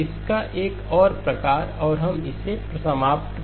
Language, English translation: Hindi, Just one more variant of this and we will conclude this